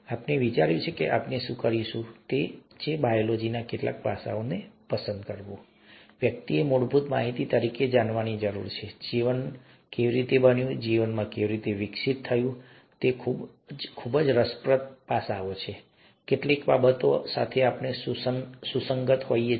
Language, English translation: Gujarati, What we thought we would do, is pick up some aspects of biology, that, one would need to know as basic information, as to how life evolved, how life formed, how life evolved, they are very interesting aspects which could have a relevance to some of the things that we’re dealing with nowadays